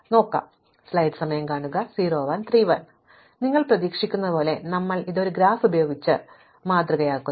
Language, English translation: Malayalam, So, as you would expect we will model this using a graph